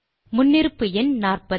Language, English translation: Tamil, The default number is 40